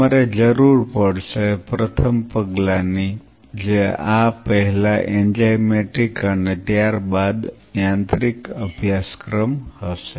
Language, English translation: Gujarati, You will be needing first step will be prior to this will be enzymatic followed by course mechanical